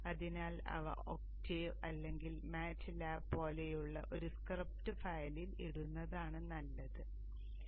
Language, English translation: Malayalam, So it is good to put them in a script file like something like Octave or Matlap